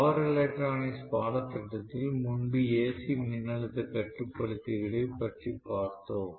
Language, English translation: Tamil, We had looked at AC voltage controller earlier in power electronics course